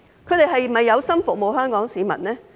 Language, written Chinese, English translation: Cantonese, 他們是否有心服務香港市民的呢？, Do they really want to serve the people of Hong Kong?